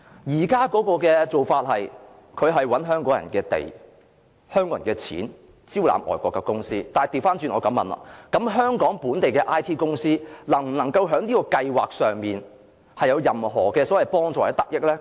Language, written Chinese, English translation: Cantonese, 現在創科局的做法是，使用香港人的土地，香港人的金錢，招攬外國的公司，我反過來問，香港本地的 IT 公司能否從這計劃獲得任何幫助或得益呢？, The practice by the Innovation and Technology Bureau now is to use the land of the Hong Kong people and spend the money of the Hong Kong people to solicit foreign companies . I wish to ask on the contrary whether the local IT companies in Hong Kong can receive any assistance or benefits from this scheme